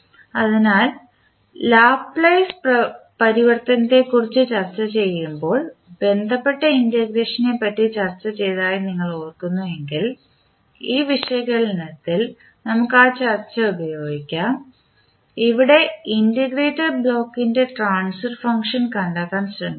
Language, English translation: Malayalam, So, if you recall we discussed about the integration related when we were discussing about the Laplace transform so we used that discussion in this particular analysis where we want to find out the transfer function of the integrator block